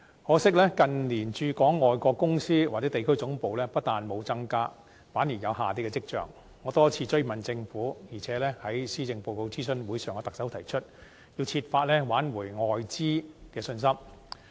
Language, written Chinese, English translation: Cantonese, 可惜，近年駐港外國公司或地區總部不但沒有增加，反而有下跌的跡象，我多次追問政府，並且在施政報告諮詢會上向特首提出，要設法挽回外資的信心。, Regrettably the number of foreign companies or regional headquarters in Hong Kong in recent years has been trending lower instead of the other way around . I have put questions to the Government many times and at the consultation exercise for the Policy Address I have advised the Chief Executive to explore ways to restore the confidence of foreign investors